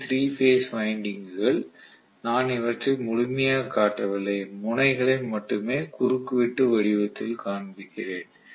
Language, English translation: Tamil, These are the 3 Phase windings which I am not showing completely only the ends I am showing basically in the form of a cross section right